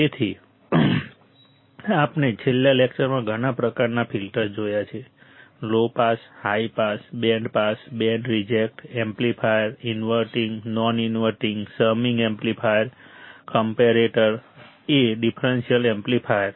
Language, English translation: Gujarati, So, we have seen several types of filters right in the last lecture; right from low pass, high pass, band pass, band reject, amplifiers, inverting, non inverting, summing amplifier, comparator a differential amplifier